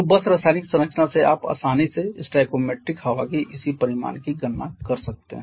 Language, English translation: Hindi, So, just from the chemical composition you can easily calculate the corresponding magnitude of stoichiometric air